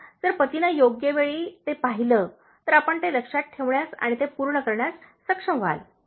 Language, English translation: Marathi, So, if the husband sees that in the right time, so you will be able to remember it and get it done